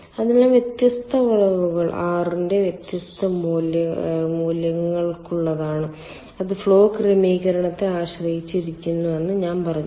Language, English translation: Malayalam, so different curves are for different values of r, and then i have told that it depends on the flow arrangement